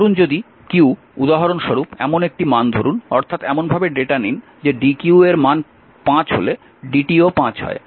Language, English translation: Bengali, Suppose if q for example, a suppose you take the data in such a fashion such that the dq is 5 dt is also 5 so, that way